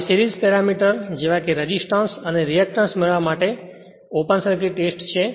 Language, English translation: Gujarati, Now, Short Circuit Test to obtain the series parameter that is your resistance and reactance